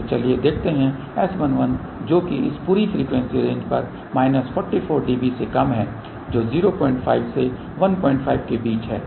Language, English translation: Hindi, So, let us see S 1 1 which is less than minus forty 4 db over this entire frequency range which is from 0